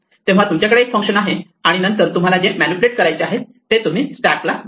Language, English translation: Marathi, So, you have one function and then you provide it the stack that you want to manipulate